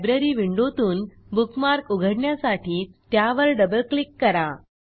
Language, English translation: Marathi, To open a bookmark directly from the Library window, simply double click on it